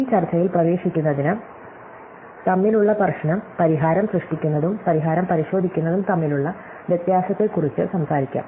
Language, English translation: Malayalam, So, to get into this discussion, let us talk about the problem between, the difference between generating a solution and checking a solution